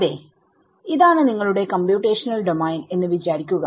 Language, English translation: Malayalam, So, supposing this is your computational domain right